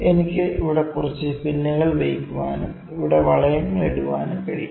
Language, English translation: Malayalam, I can even have some pins here and keep putting rings over here, ok